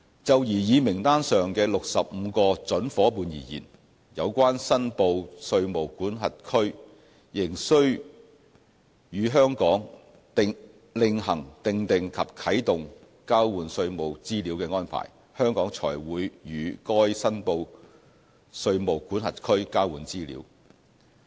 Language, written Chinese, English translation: Cantonese, 就擬議名單上的65個準夥伴而言，有關申報稅務管轄區仍須與香港另行訂定及啟動交換稅務資料的安排，香港才會與該申報稅務管轄區交換資料。, Regarding the 65 prospective jurisdictions on the proposed list the jurisdictions concerned still have to formulate and kick off the arrangement for exchanging information in taxation matters with Hong Kong separately before Hong Kong will exchange information with the jurisdictions